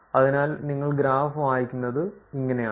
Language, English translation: Malayalam, So, this is how you will read the graph